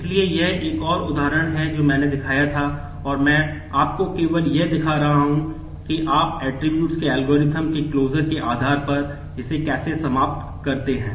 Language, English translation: Hindi, So, this is the other example I showed and I am just showing you that how you conclude this based on the closure of attributes algorithm